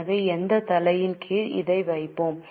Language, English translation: Tamil, So, under which head we will put it as